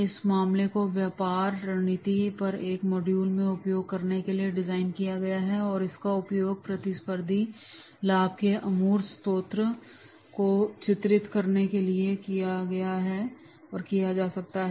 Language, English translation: Hindi, This case is designed to be used in a module on business strategy and can be used to illustrate intangible sources of competitive advantages